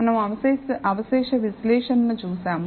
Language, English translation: Telugu, We looked at residual analysis